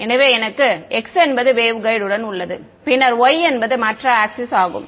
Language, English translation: Tamil, So, I have x is along the waveguide and then y is the other axis right